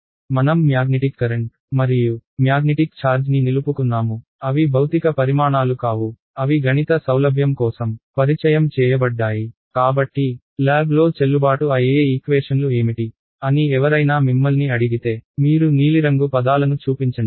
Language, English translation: Telugu, I have retained the magnetic current and the magnetic charge keeping in mind that they are not physical quantities ok, they will they are introduced for mathematical convenience ok; so, if someone asks you what are the equations that are valid in lab you will drop the blue terms ok